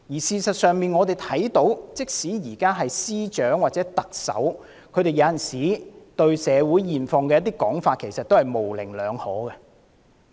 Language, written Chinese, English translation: Cantonese, 事實上，即使是司長或特首對社會現況的一些說法，也令人有模棱兩可之感。, As a matter of fact certain remarks made by the Chief Secretary for Administration or the Chief Executive on the current social situation are considered ambiguous